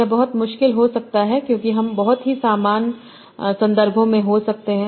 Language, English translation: Hindi, It might become very, very difficult because they would occur in very, very similar contexts